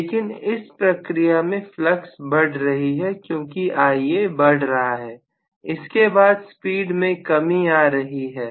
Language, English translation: Hindi, But in the process if the flux is already increasing because Ia has increased, then the speed has to come down